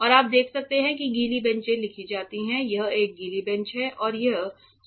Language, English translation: Hindi, And it is you can see that wet benches are written this is a wet bench and this is solvents only bench ok